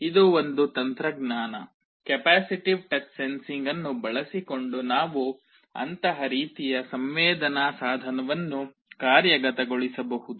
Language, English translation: Kannada, This is one technology the capacitive touch sensing using which we can implement such kind of a sensing device